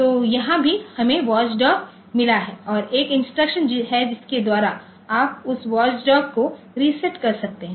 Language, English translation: Hindi, So, here also we have got watch dog and there is an instruction by which you can reset that watch dog timer